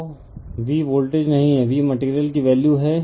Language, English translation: Hindi, So, your V is not the voltage, V is the value of the material right